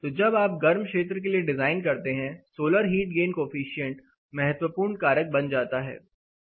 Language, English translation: Hindi, So, when you design for hotter climate or hotter seasons, in fact solar heat gain coefficient becomes a crucial factor